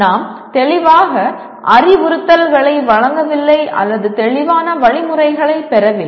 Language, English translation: Tamil, We do not clearly give instructions nor receive clear instructions